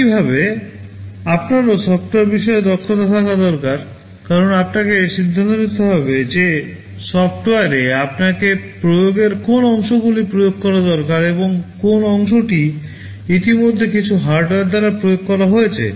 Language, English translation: Bengali, Similarly, you also need to have expertise in software, because you need to decide which parts of the implementation you need to implement in software, and which part is already implemented by some hardware